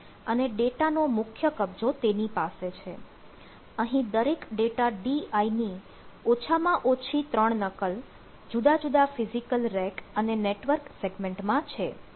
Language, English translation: Gujarati, every data di is replicated ah on different three times, at least three time, on different physical rack and network segments